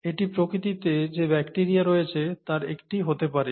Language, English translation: Bengali, This could be one of the bacteria that is present in nature